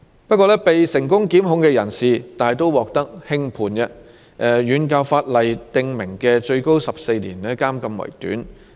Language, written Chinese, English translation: Cantonese, 不過，被成功檢控的人士大都獲得輕判，遠較法例訂明的最高14年監禁期為短。, Yet persons convicted are often given a light sentence by the court and in most cases the sentence imposed is much more lenient than the maximum imprisonment term of 14 years as stipulated in the legislation